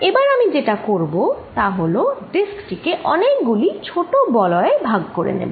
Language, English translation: Bengali, What I am going to do now is, divide this entire disc into small rings